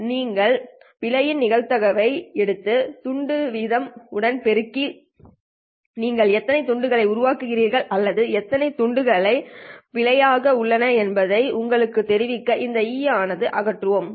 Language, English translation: Tamil, So you take that probability of error and multiply it with the bit rate in order to tell you how many bits you are making or how many bits are there in error